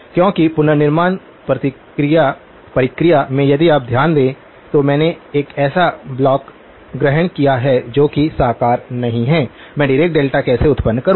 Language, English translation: Hindi, Because in the reconstruction process if you notice I assumed a block which is not realizable, how do I generate Dirac delta’s